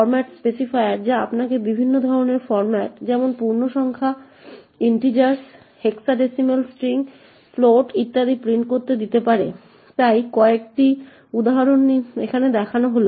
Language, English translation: Bengali, So, as we know very well that there are a lot of different types of formats specifiers which could let you print different types of formats such as integers, hexadecimal strings, floats and so on, so a few examples are as shown over here